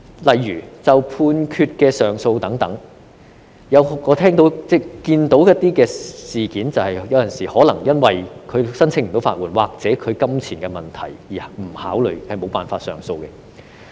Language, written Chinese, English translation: Cantonese, 例如，就判決上訴等，我看到在一些案件中，當事人有時候可能因未能申請法律援助或金錢問題而不考慮或無法上訴。, For example when it comes to appeals against judgments etc I noticed that in some cases the parties concerned did not consider or could not file appeals because of their ineligibility to apply for legal aid or money issues